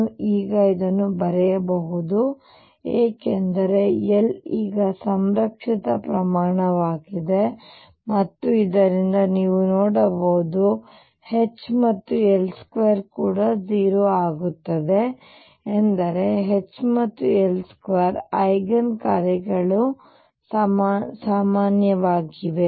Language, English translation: Kannada, I can write this because L now is a conserved quantity and you can see from this that H L square is also going to be 0 this means eigen functions of H and L square are common